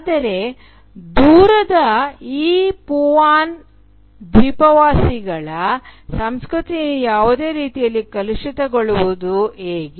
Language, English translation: Kannada, But how can the culture of these “remote” Papuan islanders be contaminated in any way